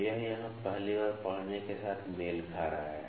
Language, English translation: Hindi, So, this is coinciding with the first reading here